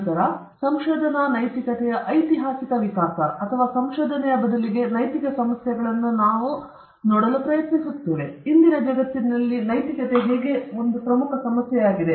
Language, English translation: Kannada, Then, afterwards, we will try to see the historical evolution of research ethics or rather ethical issues in research, how this has become an important issue in todayÕs world